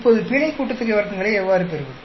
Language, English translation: Tamil, Now how do I get the error sum of squares